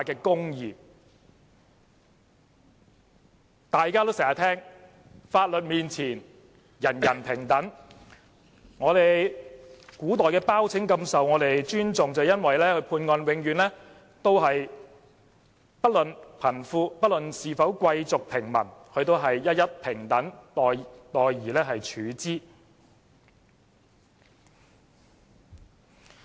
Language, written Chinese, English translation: Cantonese, 正如大家經常聽見的一句話，"法律面前，人人平等"，古代的包拯備受尊重，便是因為他在判案時不論貧富、貴族或平民，都一一平等待而處之。, We always hear the saying Everyone is equal before the law . In ancient China Bao Zheng was highly respected because he treated everybody fairly and equally during trials regardless of classes and wealth